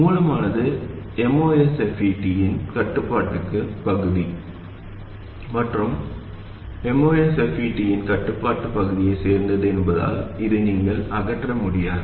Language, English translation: Tamil, This you cannot remove because source terminal belongs to the controlling part of the MOSFET as well as the controlled part of the MOSFET